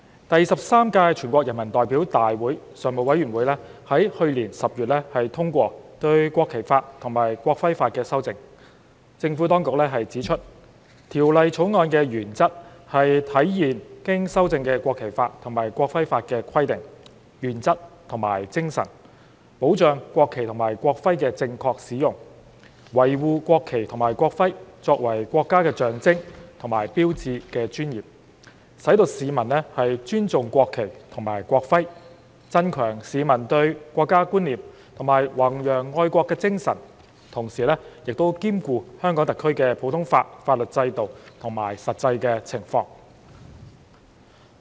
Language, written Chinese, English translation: Cantonese, 第十三屆全國人民代表大會常務委員會在去年10月通過對《國旗法》及《國徽法》的修正，政府當局指出，《條例草案》的原則，是體現經修正的《國旗法》及《國徽法》的規定、原則和精神，保障國旗及國徽的正確使用，維護國旗及國徽作為國家的象徵和標誌的尊嚴，使市民尊重國旗及國徽，增強市民對國家觀念和弘揚愛國精神，同時兼顧香港特區的普通法法律制度及實際情況。, Last October the Standing Committee of the 13th National Peoples Congress endorsed the amendments to the National Flag Law and the National Emblem Law . According to the Administration the principle of the Bill is to reflect the provisions principles and spirit of the amended National Flag Law and the amended National Emblem Law safeguard the proper use and preserve the dignity of the national flag and the national emblem which are the symbols and signs of our country so as to promote respect for the national flag and national emblem enhance the sense of national identity among citizens and promote patriotism whilst taking into account our common law system and the actual circumstances in HKSAR